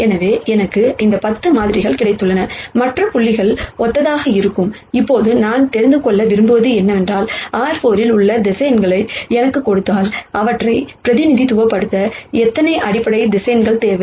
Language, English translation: Tamil, So, I have got these 10 samples and the other dots will be similar, now what I want to know is if you give me these, vectors in R 4, how many basis vectors do I need to represent them